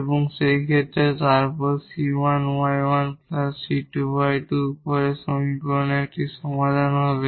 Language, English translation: Bengali, We just substitute the c 1 y 1 plus c 2 y 2 into the equation